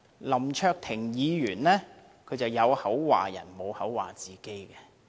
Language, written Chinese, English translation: Cantonese, 林卓廷議員只批評別人，不批評自己。, Mr LAM Cheuk - ting has criticized only others but not himself